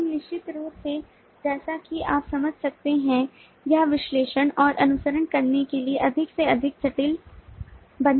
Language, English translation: Hindi, but certainly, as you can understand, this makes it more and more complex to analyze and follow